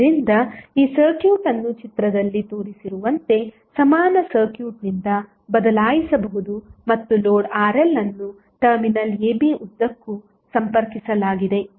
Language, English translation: Kannada, So, this circuit can be can be replaced by the equivalent circuit as shown in the figure and the load Rl is connected across the terminal AB